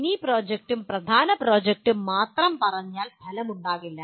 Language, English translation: Malayalam, Just saying mini project and major project does not work out